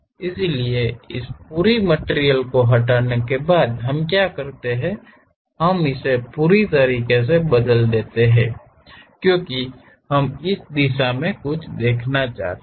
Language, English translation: Hindi, So, what we do is after removing this entire materials thing, we revolve it down all the way; because we would like to see something like a complete view in this direction